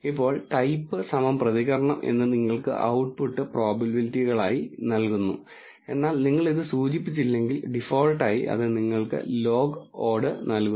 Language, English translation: Malayalam, Now, type equal to response gives you the output as probabilities, but if you do not mention this it by default gives you the log odds